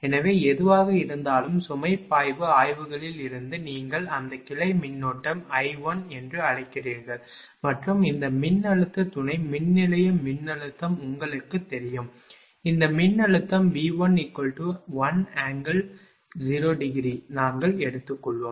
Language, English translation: Tamil, So, whatever, but from the load flow studies, you know this your how to call that branch current I 1 and this voltage substation voltage is known to you, this voltage is V 1 is equal to in this case one angle 0 we have taken